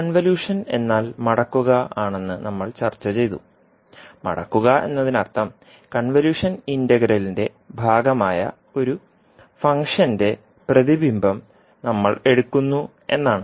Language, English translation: Malayalam, We discussed that convolution is nothings but holding, holding means we take the mirror image of one of the function which will be part of the convolution integral